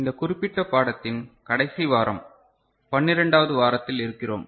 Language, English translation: Tamil, We are in week 12 the last week of this particular course